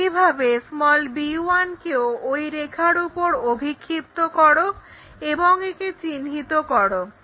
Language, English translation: Bengali, Similarly, project b 1 onto that line locate it